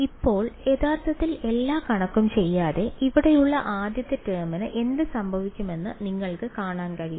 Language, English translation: Malayalam, Now, without actually doing all the math, you can see what will happen to the first term over here